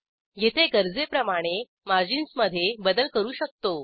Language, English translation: Marathi, Here,we can adjust the margins as required